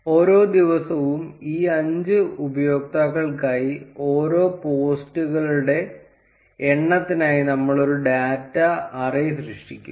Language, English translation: Malayalam, For each day, we will create a data array for the number of posts for each of these 5 users